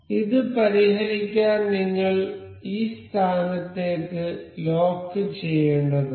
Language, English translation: Malayalam, So, to fix this we need to lock this into this position